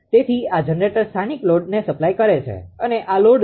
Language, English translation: Gujarati, So, this is generating supplying a local load this is a load